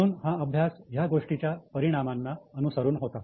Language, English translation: Marathi, So the studies were done on the impact of that